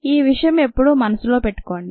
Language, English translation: Telugu, you need to keep this in mind